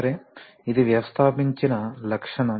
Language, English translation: Telugu, Okay this is a installed characteristic